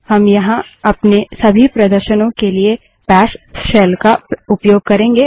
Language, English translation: Hindi, We would be using the bash shell for all our demonstrations here